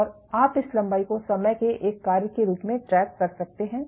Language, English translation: Hindi, And you can track this length as a function of time